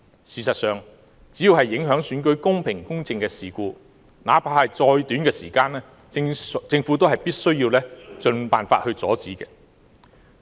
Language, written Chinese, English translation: Cantonese, 事實上，只要是影響選舉公平、公正的事故，那怕是再短的時間，政府也必須盡辦法阻止。, In fact the Government should strive to stop any incidents that can affect the fair and just conduct of the election no matter how short the incidents last